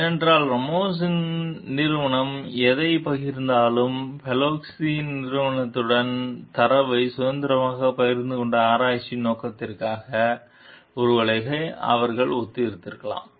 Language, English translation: Tamil, Because whatever Ramos s company have shared, freely shared the data with the Polinski s company was for the purpose of the research that, maybe they were collaborating for